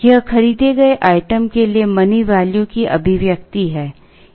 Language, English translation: Hindi, This is the expression for the money value for the item that is bought